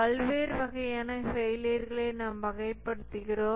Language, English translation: Tamil, We classify the different types of failure